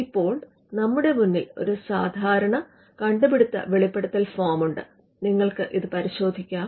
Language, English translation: Malayalam, Now, here in front of you there is a typical invention disclosure form, you can just have a look at this now this form has to be filled by the inventor